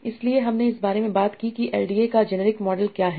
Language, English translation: Hindi, So now, so we talked about what is the gener a model of LD